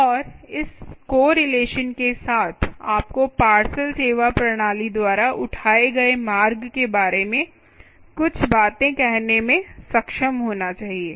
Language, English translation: Hindi, right, and with this correlation you should be able to say a few things about the ah, the route taken by the ah, the ah a parcel service system, essentially ah